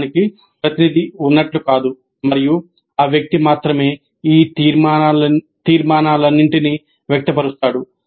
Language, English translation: Telugu, It's not like there is a spokesman for the group and only that person expresses all these conclusions